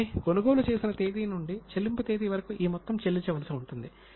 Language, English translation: Telugu, So from the date of purchase till the date of payment, the amount is a payable